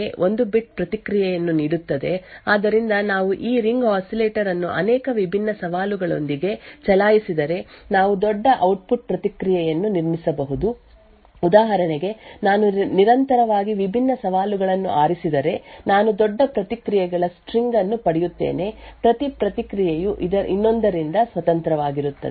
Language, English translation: Kannada, So what is done is that this one challenge gives me one bit of response, so if we actually run this ring oscillator with multiple different challenges we could build larger output response so for example, if I continuously choose different challenges I would get a larger string of responses, each response is independent of the other